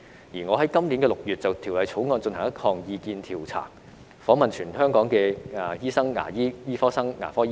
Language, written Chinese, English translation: Cantonese, 而我在今年6月就《條例草案》進行了一項意見調查，訪問全港醫生、牙醫、醫科生及牙科學生。, In June this year I conducted a survey on the Bill and interviewed doctors dentists medical students and dental students in Hong Kong